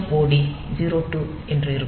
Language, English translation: Tamil, So, TMOD is 02